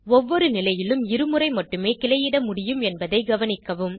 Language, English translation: Tamil, Note that branching is possible only twice at each position